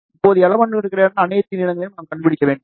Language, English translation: Tamil, Now, we have to find the length of all the in between elements